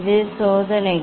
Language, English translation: Tamil, this is the experiments